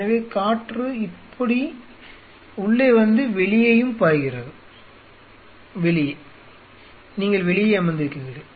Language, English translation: Tamil, So, air is flowing like this and out like this and out you are sitting outside right